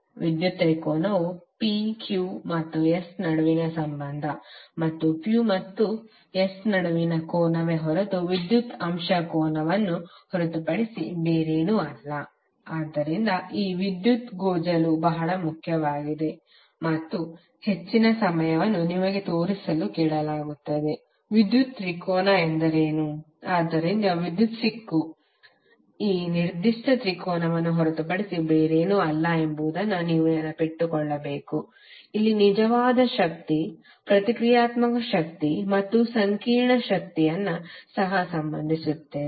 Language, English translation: Kannada, Power triangle is nothing but the relationship between P, Q and S and the angle between P and S is the theta degree which is nothing but the power factor angle, so this power tangle is very important and most of the time you will be asked to show what is the power triangle, so you should remember that the power tangle is nothing but this particular triangle where we co relate real power, reactive power and the complex power